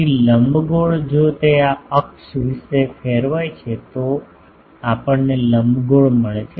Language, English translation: Gujarati, So, ellipse if it is rotated about this axis we get ellipsoid